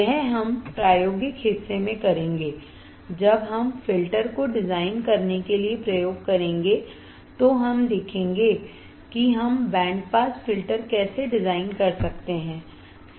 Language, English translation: Hindi, This we will perform in the experimental portion, when we perform the experiments for designing the filters, we will see how we can design a band pass filter